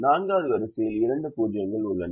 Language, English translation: Tamil, the fourth row has two zeros